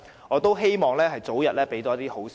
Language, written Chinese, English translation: Cantonese, 我希望可以早日收到好消息。, I hope that we will hear some good news as early as possible